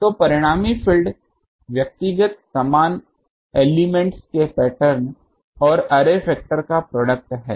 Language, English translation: Hindi, So, the resultant field is the product of the pattern of the individual identical elements and the array factor